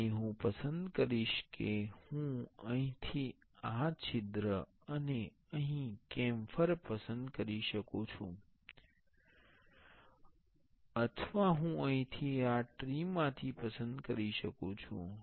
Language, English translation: Gujarati, And I will select I can select this hole from here and the camphor here, or I can choose from here in this tree